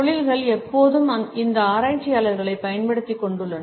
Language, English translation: Tamil, Industries have always taken advantage of these researchers